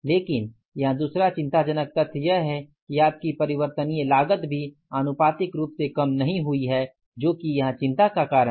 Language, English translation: Hindi, But the second alarming fact here is that your variable cost has also not proportionately come down